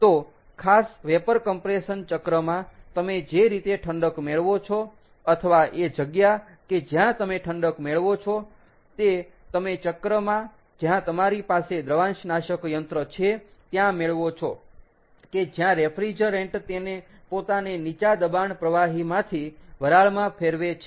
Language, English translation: Gujarati, so in a typical vapour compression cycle, the way where you get cooling or the location where you get cooling is where you have the evaporator in their cycle, where the refrigerant ah converts itself at a low pressure from liquid to vapour